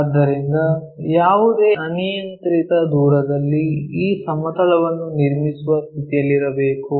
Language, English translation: Kannada, So, at any arbitrary distance we should be in a position to construct this plane